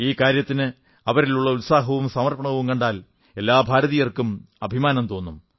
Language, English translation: Malayalam, Their dedication and vigour can make each Indian feel proud